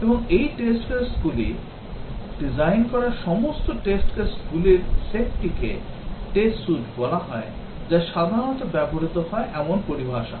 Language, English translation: Bengali, And these test cases, the set of all test cases that are designed is called as the test suite that is the terminology that is typically used